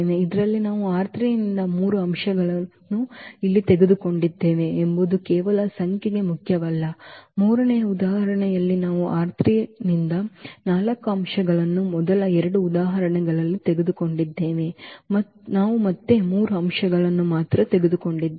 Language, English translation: Kannada, That just the number is not important that we have taken here three elements from R 3 in this, in the third example we have taken four elements from R 3 in first two examples we have taken again only three elements